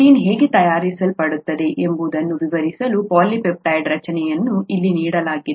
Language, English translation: Kannada, A polypeptide formation is given here to illustrate how a protein gets made